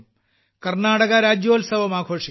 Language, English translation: Malayalam, Karnataka Rajyotsava will be celebrated